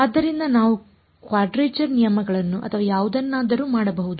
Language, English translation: Kannada, So, we can even do quadrature rules or whatever